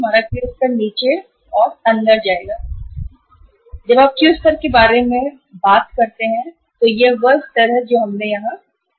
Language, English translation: Hindi, Our Q level will go down and in this case when you talk about the Q level this is the level we decided here